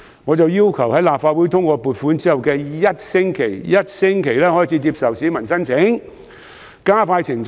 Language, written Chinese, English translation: Cantonese, 我於是要求政府在立法會通過撥款的1星期內開始接受市民申請，以加快程序。, I then called on the Government to accept applications within one week after the funding approval so as to speed up the process